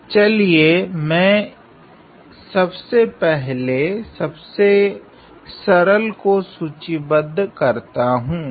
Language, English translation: Hindi, So, let me just outline the easiest one